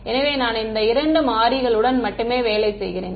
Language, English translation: Tamil, So, that I work with just two variables right